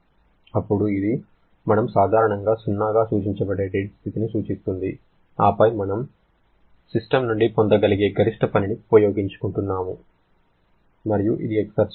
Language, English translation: Telugu, Then, this one we are going to the dead state which commonly referred as 0, then we have harness the maximum possible work that we could have got from the system and that is what is exergy